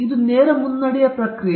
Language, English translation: Kannada, It’s a straight forward process